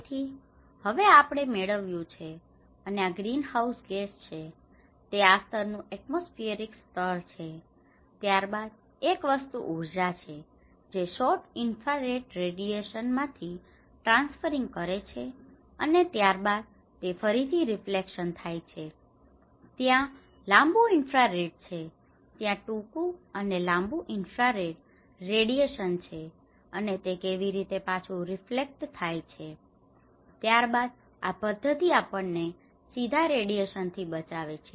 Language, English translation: Gujarati, So, now we are getting and this is the greenhouse gas, it is a layer of this atmospheric layer, and then one thing is the energy is transferring from this which is a kind of short infrared radiation and then, this is again reflected back, and there is a long infrared; there is a short and long infrared radiations and how it is reflected back, and then in this process this is actually helping us to protect from the direct radiation